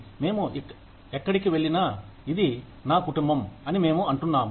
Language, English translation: Telugu, We say, wherever I go, this is my family